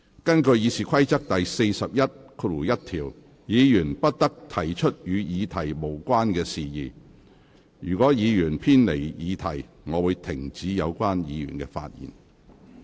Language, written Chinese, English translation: Cantonese, 根據《議事規則》第411條，議員不得提出與議題無關的事宜，如果議員偏離議題，我會指示有關議員停止發言。, Under RoP 411 Members shall not introduce matter irrelevant to the subject of the debate . If a Member stray from the subject I will direct him to discontinue his speech